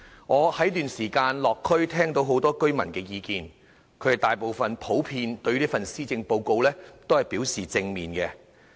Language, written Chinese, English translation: Cantonese, 我在這段時間落區聽到很多居民的意見，他們大部分普遍對這份施政報告反應正面。, I have gauged views from members of the public in the local districts during this past period . The response of the majority of them to this Policy Address was positive in general